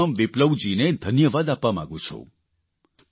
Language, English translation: Gujarati, I want to thank Jai Ram Viplava ji